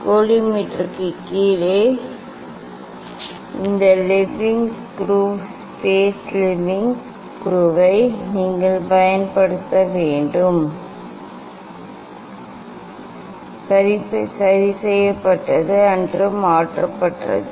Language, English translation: Tamil, you have to use this leveling screw base leveling screw below the collimator, but here this one is fixed you cannot change